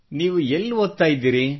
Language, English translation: Kannada, And where do you study